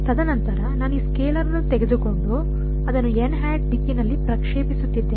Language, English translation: Kannada, And then I am taking this scalar and projecting it along the n direction right